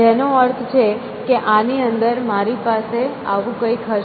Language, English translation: Gujarati, So, which means inside of this, I would have something like this